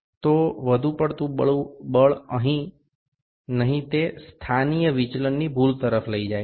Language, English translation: Gujarati, So, no excessive force, it can lead to positional deviation errors